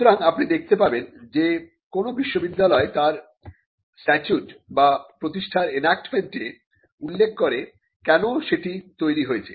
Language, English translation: Bengali, So, you will see that the statute or the establishing enactment of any university would mention the reason, why the university was created